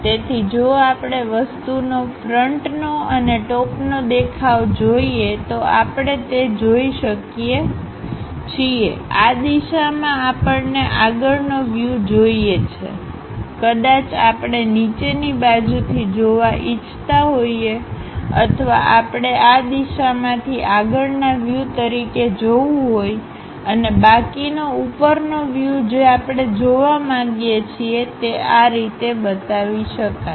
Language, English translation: Gujarati, So, if we are looking at front view of the object and top view of the object, we can clearly see that; we would like to view front view in this direction, perhaps we would like to visualize from bottom side one way or we would like to view from this direction as a front view, and the remaining top view whatever we would like to really visualize that we might be showing it in that way